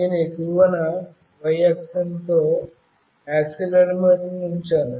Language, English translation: Telugu, I have put up the accelerometer with y axis at the top